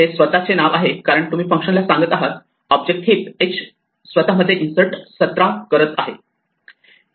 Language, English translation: Marathi, It is a name to itself because you are telling a function an object heap h insert 17 into your ‘self’